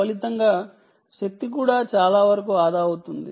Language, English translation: Telugu, as a result, energy is also saved to a large extent